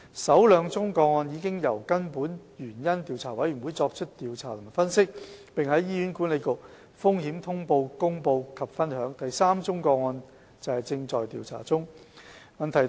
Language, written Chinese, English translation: Cantonese, 首兩宗個案已由根本原因調查委員會作出調查和分析，並在醫管局《風險通報》公布及分享，第三宗個案現正調查中。, The first two cases were investigated and analysed by the respective root cause analysis panels and later published in HAs Risk Alert . The third case is under investigation